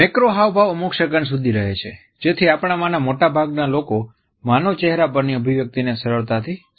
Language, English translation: Gujarati, Macro expressions last for certain seconds, so that most of us can easily make out the expression on the human face